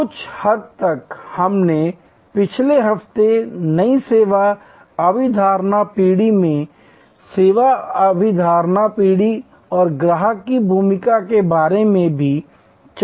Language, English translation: Hindi, To some extent we have discussed about the service concept generation and the role of the customer in new service concept generation, last week